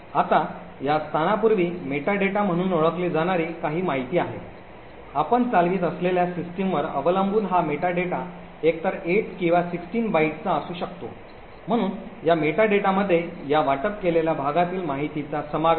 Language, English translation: Marathi, Now prior to this location there are some information known as meta data, this meta data could be either of 8 or 16 bytes depending on the system that you are running, so this meta data comprises of information about this allocated chunk